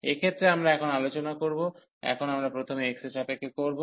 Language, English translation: Bengali, So, in this case we will now discuss, now we will take first with respect to x